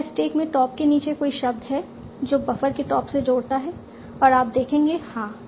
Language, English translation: Hindi, Is there a word below the top in the stack that connects to the top of a buffer